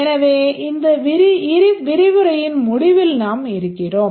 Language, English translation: Tamil, So we are almost at the end of this lecture